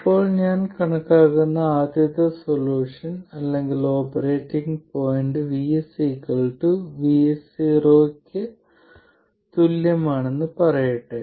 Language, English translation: Malayalam, Now, let me say that the first solution or the operating point that I calculate is for Vs equals Vs 0